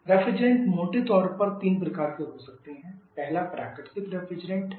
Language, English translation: Hindi, Refrigerants can broadly of 3 types the first one is natural refrigerant